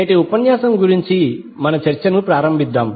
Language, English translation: Telugu, So let us start our discussion of today's lecture